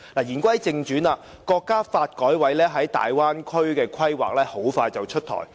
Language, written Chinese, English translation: Cantonese, 言歸正傳，國家發展和改革委員會在大灣區的規劃很快便會出台。, The National Development and Reform Commission NDRC will soon roll out a Bay Area development plan